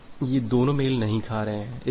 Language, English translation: Hindi, Now, these two are not matching